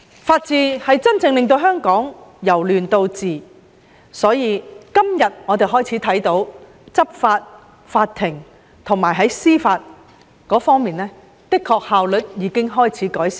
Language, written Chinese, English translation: Cantonese, 法治是真正令香港由亂到治，而我們看到今天的執法及司法效率的確已有改善。, The rule of law is what really brings Hong Kong from chaos to governance . As we can see improvements have been made in the efficiency of both law enforcement and justice today